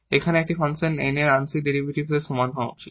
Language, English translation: Bengali, So, the partial derivative of this function M should be equal to the partial derivative of this function N here